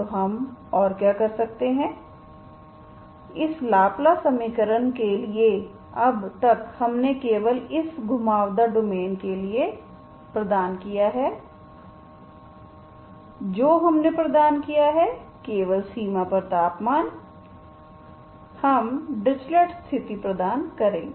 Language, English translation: Hindi, So we are so far for this Laplace equation we have only provided for this curved, curved domains, what we have provided only temperature at the boundary, we only provide the Drisley condition